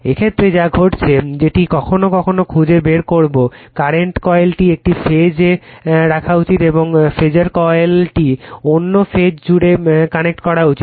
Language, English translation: Bengali, In this case what happened , that your ,, sometimes you will finds sometime you will find this is, that current coil should be put in one phase and phasor coil should be connected across other phase right